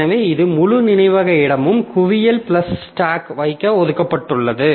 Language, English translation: Tamil, So, this entire chunk of memory space, so this is allocated to stack plus hip